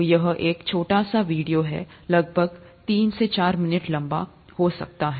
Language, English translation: Hindi, So that's a nice small video, may be about three to four minutes long